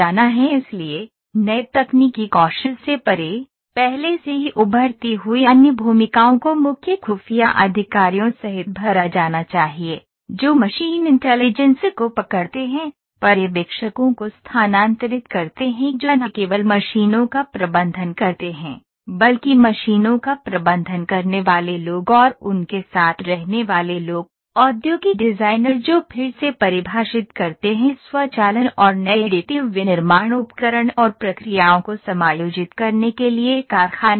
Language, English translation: Hindi, So, beyond the new technical skills already emerging other roles need to be filled including chief intelligence officers who are grabs the machine intelligence, shift supervisors who manage machines not only people who manage machines as well and the people with them, industrial designers who redefine the factory floor to accommodate automation and new additive manufacturing equipment and processes